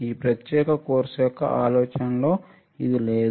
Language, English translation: Telugu, There is not the idea of this particular course ok